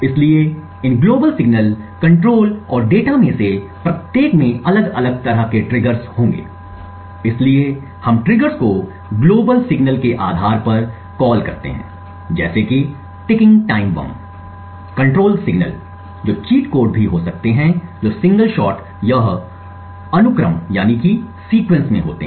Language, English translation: Hindi, So each of these different signals global, control and data would have different types of triggers so we call the triggers based on the global signals such as a clock as a ticking time bomb, control signals could be cheat codes which are single shot or in a sequence or data signals could again be cheat codes in a single shot or sequence